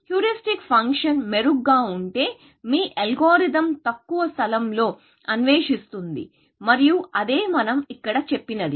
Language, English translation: Telugu, The better the heuristic function is, lesser the amount of space, that your algorithm will explore, and that is what we said here